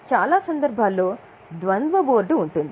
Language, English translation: Telugu, But in many cases, there is a dual board